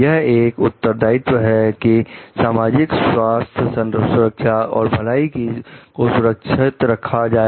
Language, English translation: Hindi, It is a responsibility to safeguard the public health, safety, and welfare